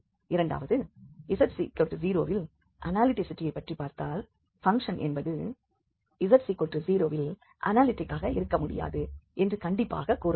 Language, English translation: Tamil, Second about the analyticity at z equal to 0 we can definitely say that the function is not analytical at z equal to 0